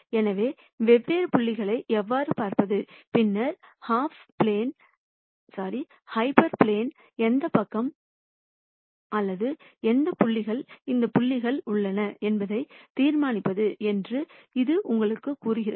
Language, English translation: Tamil, So, that tells you how to look at different points and then decide which side of the hyperplane or which half space these points lie